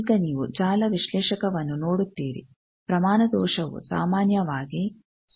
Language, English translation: Kannada, Now, you see the network analyzer magnitude error is typically less than 0